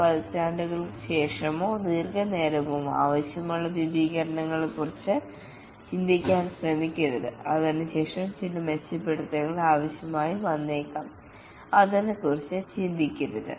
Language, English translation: Malayalam, Don't try to make it think of extensions that may be required decades later or long time afterwards some enhancement may be required